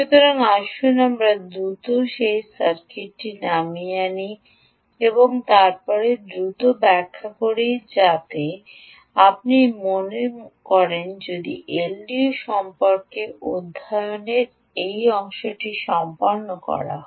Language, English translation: Bengali, so lets quickly out down that circuit and then quickly explain, if you think so, that that part of the ah study on l d voice also completed